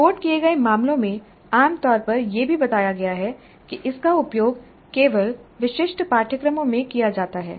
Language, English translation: Hindi, Reported cases also generally describe its use in specific courses only